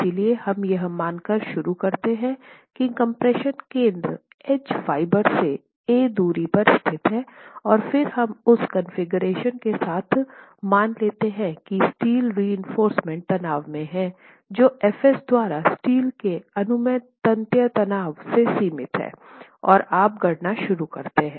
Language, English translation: Hindi, So, we begin by assuming that the compression centroid is located at a distance A from the edge fiber, and then we assume that with that configuration, the tension steel, the steel with the steel reinforcing which is in tension is limited by F